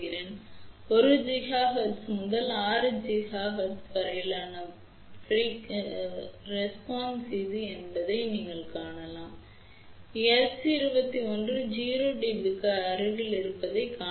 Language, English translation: Tamil, So, you can see over here this is the response from 1 gigahertz to 6 gigahertz, you can see that S 2 1 is close to 0 dB